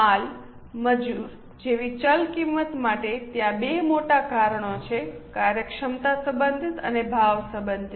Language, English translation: Gujarati, For variable costs like material labor, there are two major causes, efficiency related and price related